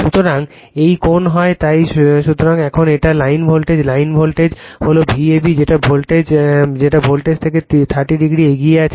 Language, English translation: Bengali, So, now, this is the line voltage line voltage is V a b V a b leads the phase voltage by angle 30 degree